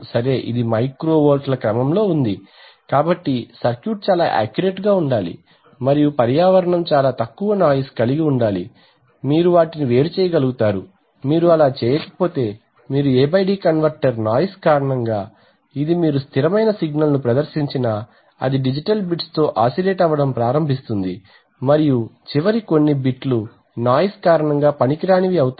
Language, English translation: Telugu, It is it is of the order of micro volts, so the circuit should be so accurate that and the environment should be so less noisy, that you will be able to separate between those, if you do not do that then you A/D converter just because of noise it will, this even if you present a constant signal it is the digital bits will start oscillating and the last few bits will anyway the useless, because of noise